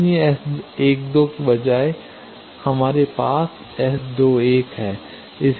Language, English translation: Hindi, So, instead of S 12 we have taken S 21